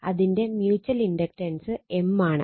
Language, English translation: Malayalam, So, M will become mutual inductance will become 0